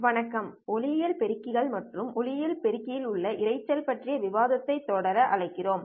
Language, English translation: Tamil, Let us continue the discussion on optical amplifier and noises in the optical amplifier